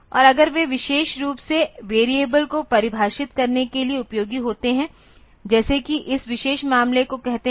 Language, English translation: Hindi, And if they are useful for defining particularly the variables like say this particular case